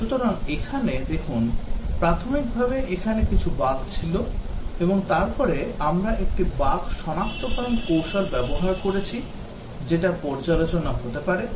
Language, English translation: Bengali, So, just see here initially there were some bugs and then we used a bug detection technique, may be review